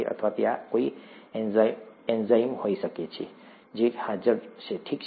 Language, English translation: Gujarati, Or, there could be an enzyme that is present, okay